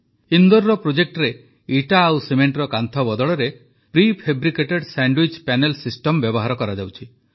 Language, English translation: Odia, In the project at Indore, PreFabricated Sandwich Panel System is being used in place of BrickandMortar Walls